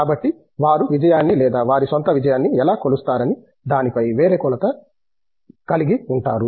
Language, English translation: Telugu, So, they have had always had a different metric on how they measure success or their own success